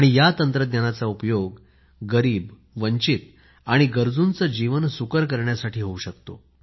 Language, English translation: Marathi, This technology can be harnessed to better the lives of the underprivileged, the marginalized and the needy